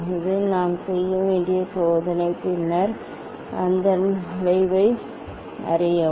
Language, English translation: Tamil, this is the experiment we have to do and then draw a curve of that